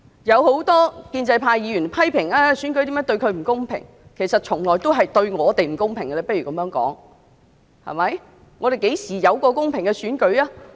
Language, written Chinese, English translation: Cantonese, 有很多建制派議員批評選舉如何對他們不公平；不如這樣說，其實選舉從來對我們也是不公平的，香港何時有過公平的選舉？, Perhaps let us put it in this way instead . In fact the elections have always been unfair to us . When was there ever a fair election in Hong Kong?